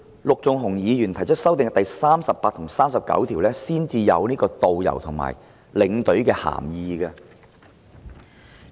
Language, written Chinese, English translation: Cantonese, 陸頌雄議員的修正案，到《條例草案》第38及39條才說明導遊及領隊的涵義。, In Mr LUK Chung - hungs amendments the definitions of a tourist guide and a tour escort are only given in clauses 38 and 39 of the Bill